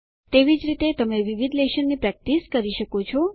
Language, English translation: Gujarati, Similarly you can practice different lessons